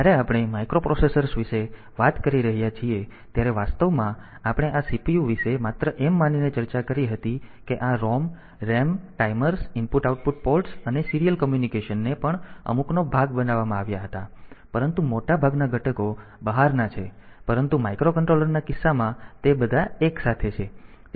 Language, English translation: Gujarati, So, when we are discussing about the microprocessors actually we discussed about this CPU only assuming this that this ROM RAM timers the IO ports and serial communication was also made part of the few, but most of the components are outside, but in case of micro controller all of them are together